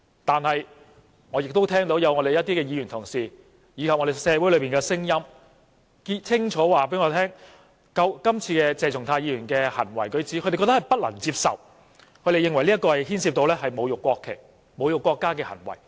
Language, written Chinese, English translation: Cantonese, 然而，我亦聽到一些議員及社會裏的聲音，清楚告訴我，他們不能接受鄭松泰議員今次的行為舉止，認為這牽涉到侮辱國旗、國家的行為。, However I have also heard the voices of some Members and in society which clearly tell me they cannot accept the behaviour and conduct of Dr CHENG Chung - tai as they consider it tantamount to insults to the national flag and the country